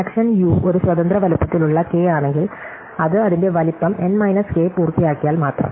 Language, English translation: Malayalam, So, the connection is that U is an independent sets of size K, if and only if it is complementÕs it vertex cover of size N minus K